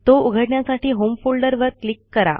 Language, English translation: Marathi, Lets open it.Click on home folder